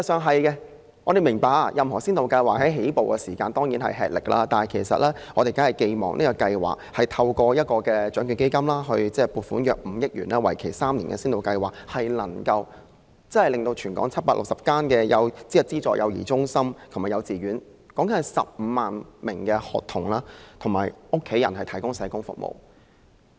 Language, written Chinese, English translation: Cantonese, 當然，我們明白任何先導計劃在起步時均困難重重，但我們寄望這個透過獎券基金撥款5億元、為期3年的先導計劃，能為全港760間資助幼兒中心及幼稚園約15萬名學童及家人提供社工服務。, We certainly understand that any pilot scheme may have a lot of teething troubles but we do hope that this three - year pilot scheme on social work services which is funded with an allocation of 500 million from the Lotteries Fund can provide social work services to about 150 000 pre - primary children in 760 subsidizedaided child care centres and kindergartens in Hong Kong and their families